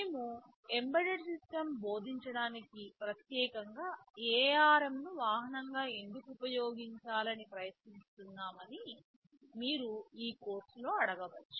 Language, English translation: Telugu, You may ask in this course why are you we specifically trying to use ARM as the vehicle for teaching embedded systems